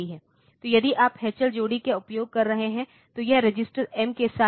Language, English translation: Hindi, So, the if you are using H L pair then it is with registered M